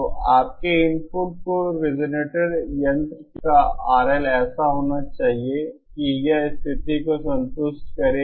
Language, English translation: Hindi, So your input the R L of the resonator should be such that it satisfies the condition